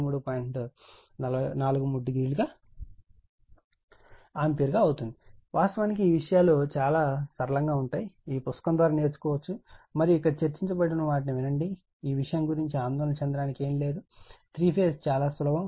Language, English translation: Telugu, 43 degree, actually this things are very simple just little bit you go through this book and just listen what have been discussed here and nothing to be worried about this thing it seems very simple 3 phase right